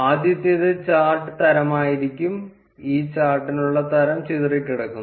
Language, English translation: Malayalam, The first one would be the chart type; and the type for this chart is scatter